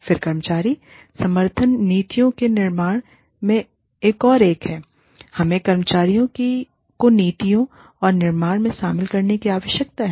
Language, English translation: Hindi, Then, employee support is another one, in formulation of policies We need the employees, to be involved in the formulation of policies